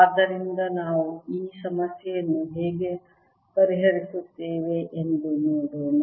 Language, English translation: Kannada, so let us see how do we solve this problem